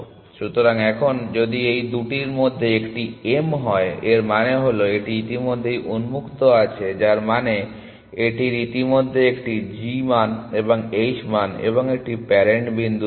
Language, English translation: Bengali, So, now, if this one of these two was m, it means it is on already in open which means it is already has a g value and h value and a parent point